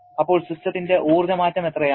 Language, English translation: Malayalam, Then, how much is the energy change of the system